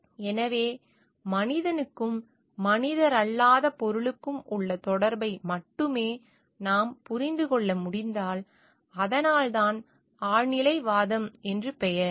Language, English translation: Tamil, So, if only we can understand the connectivity of the human and the non human entity, that is why the name transcendentalism